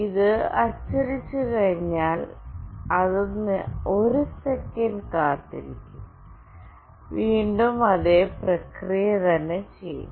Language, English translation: Malayalam, After it gets printed it will wait for 1 second, and again it will do the same process